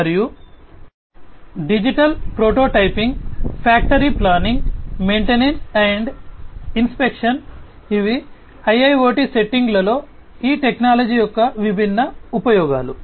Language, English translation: Telugu, And digital prototyping, factory planning, maintenance and inspection, these are some of the different uses of these technologies in the IIoT settings